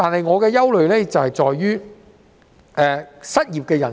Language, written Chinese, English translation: Cantonese, 我的憂慮在於失業人數。, I am concerned about the number of unemployed persons